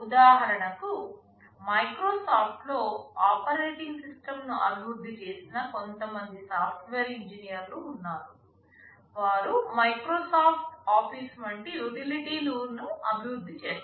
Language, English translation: Telugu, For example, in Microsoft there are some software engineers who developed the operating system, who develop utilities like Microsoft Office, and so on